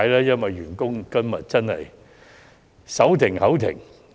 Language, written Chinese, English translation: Cantonese, 員工真的手停口停。, Catering employees do live from hand to mouth